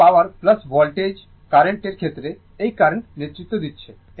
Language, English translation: Bengali, This is power plus this is voltage current here in the in the case of current is leading